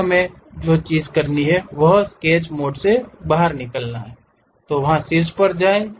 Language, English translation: Hindi, Then what we have to do is, come out of Sketch mode, go there top